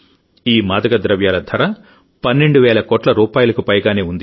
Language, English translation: Telugu, The cost of these drugs was more than Rs 12,000 crore